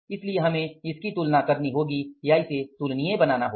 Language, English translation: Hindi, So we have to compare or make it comparable